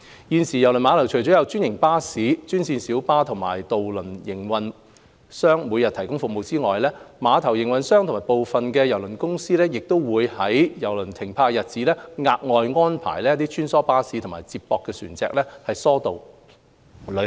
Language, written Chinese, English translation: Cantonese, 現時，郵輪碼頭除有專營巴士、專線小巴和渡輪營運商每天提供服務外，碼頭營運商和部分郵輪公司亦會在郵輪停泊的日子額外安排穿梭巴士及接駁船疏導旅客。, At present apart from daily services provided by franchised buses green minibus and ferry operator the terminal operator and some cruise lines would also arrange additional shuttle buses and feeder ferry services to ease cruise passengers flow